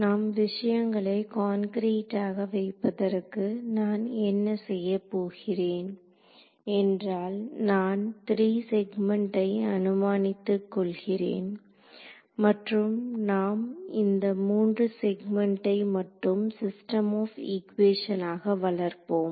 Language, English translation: Tamil, So, to keep things very concrete what I am going to do is I am going to assume 3 segments just 3 segments and we will build our system of equations for 3 segments